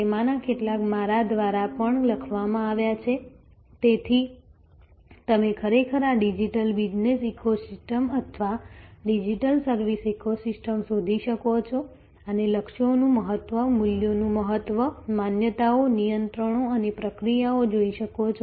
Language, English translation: Gujarati, Some of them are also written by me, so you can actually search for this digital business ecosystem or digital service ecosystem and see the importance of goals, importance of values, beliefs, controls and procedures